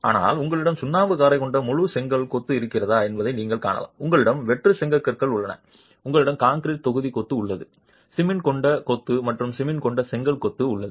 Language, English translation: Tamil, But you can also see if you have full brick masonry with lime mortar, you have hollow bricks, you have concrete block masonry, you have masonry with cement, and brick masonry with cement